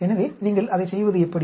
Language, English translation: Tamil, So how do you go about doing it